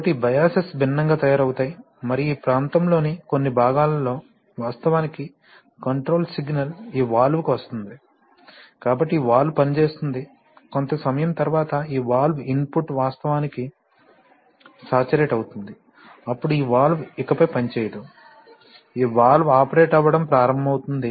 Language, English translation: Telugu, So, these biases are made different and in certain parts of the region the, actually the control signal comes to this valve, so this valve will operate then after some time when this valve input will actually saturate then this valve will operate no longer and then this valve will start operating